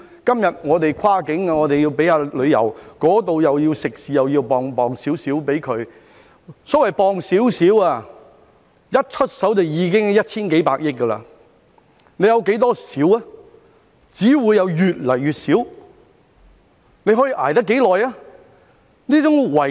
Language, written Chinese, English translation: Cantonese, 今天我們未能通關，政府亦要向旅遊業界和食肆撥出一點資助——所謂撥出一點，一出手便已經是一千幾百億元，政府有多少"一點"呢？, Today when cross - boundary travel cannot be resumed the Government has to provide a little bit of assistance to the tourism industry and restaurants―the so - called a little bit already amounts to tens or hundreds of billions dollars . How many of this little bit can the Government afford?